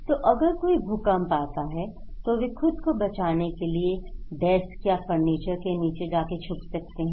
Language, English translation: Hindi, So, if there is an earthquake, they can go under desk or furniture to protect themselves